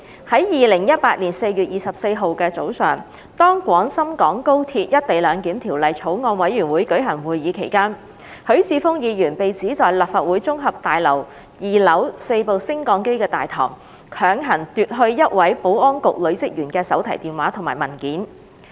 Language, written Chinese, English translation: Cantonese, 在2018年4月24日早上，當《廣深港高鐵條例草案》委員會舉行會議期間，許智峯議員被指在立法會綜合大樓2樓4部升降機大堂，強行奪去一位保安局女職員的手提電話及文件。, In the morning of 24 April 2018 when the Bills Committee on Guangzhou - Shenzhen - Hong Kong Express Rail Link Co - location Bill was holding its meeting Mr HUI Chi - fung was claimed to have grabbed the mobile phone and documents of a female officer of the Security Bureau at the four - lift lobby on the second floor of the Legislative Council Complex